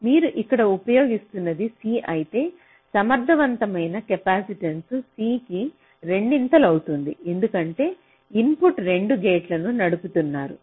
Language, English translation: Telugu, but here, if you are using like here, suppose if this is c, then the effective capacitance here will becomes twice c because you are driving two gates